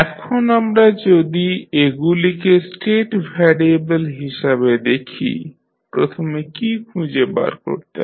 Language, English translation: Bengali, So, when we see them as a state variable, what we can first find